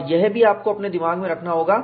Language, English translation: Hindi, And, this also you have to keep it at the back of your mind